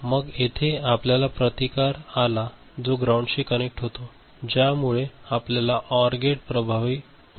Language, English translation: Marathi, And then here we have got the resistance and connected to the ground which effectively gives you a OR gate realization